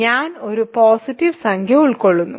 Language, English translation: Malayalam, So, I contains a positive integer